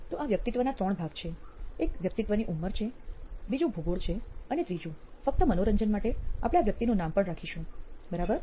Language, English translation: Gujarati, So the persona is in three parts one is the age of the person, second is the geography and third just for fun we will even name this person, ok